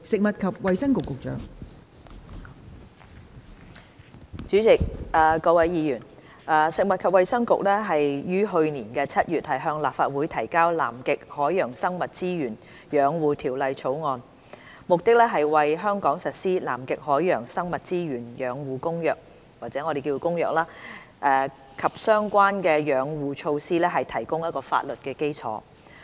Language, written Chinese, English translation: Cantonese, 代理主席、各位議員，食物及衞生局於去年7月向立法會提交《南極海洋生物資源養護條例草案》，目的是為在香港實施《南極海洋生物資源養護公約》及相關的養護措施提供法律基礎。, Deputy President honourable Members the Food and Health Bureau introduced into the Legislative Council in July last year the Conservation of Antarctic Marine Living Resources Bill the Bill which aims to provide the legal basis for implementing the Convention on the Conservation of Antarctic Marine Living Resources CCAMLR and related Conservation Measures in Hong Kong